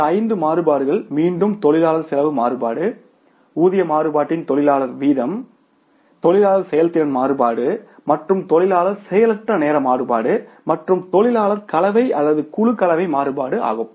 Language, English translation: Tamil, These five variances again, labor cost variance, labour rate of pay variance, labour efficiency variance and labour idle time variance and the labour mix or gang composition variance